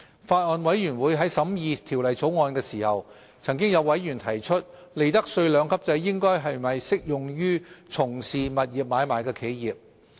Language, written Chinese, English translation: Cantonese, 法案委員會在審議《條例草案》時，曾有委員提出利得稅兩級制應否適用於從事物業買賣的企業。, When the Bills Committee scrutinized the Bill some members asked whether the two - tiered profits tax rates regime should be applicable to entities engaging in property transaction